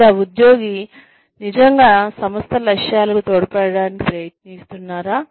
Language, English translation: Telugu, Or, is the employee, really trying to contribute, to the organization's goals